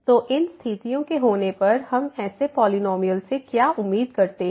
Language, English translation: Hindi, So, having these conditions what do we expect from such a polynomial